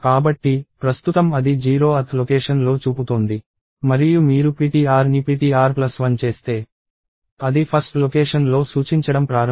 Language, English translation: Telugu, So, right now it is pointing at 0th location and if you do ptr is ptr plus 1, it will starts pointing at the 1th location